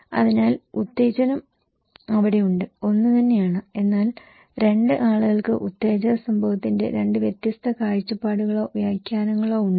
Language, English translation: Malayalam, So, the stimulus is there, the same but two people have two different perspective or interpretations of the event of the stimulus